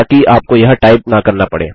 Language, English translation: Hindi, So Ill just type this